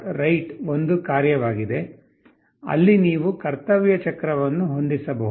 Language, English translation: Kannada, write() is a function, where you can set the duty cycle